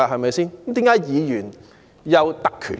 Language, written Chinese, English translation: Cantonese, 為甚麼議員會有特權呢？, Why would Members be given privileges?